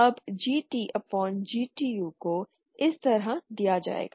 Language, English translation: Hindi, Now GT upon GTu will be given like this